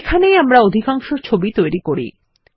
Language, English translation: Bengali, This is where we create most of our graphics